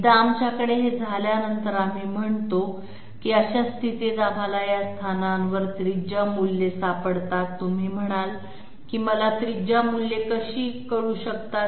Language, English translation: Marathi, Once we have this, we say that in that case we find out the radius values at these positions, you might say how do I know radius values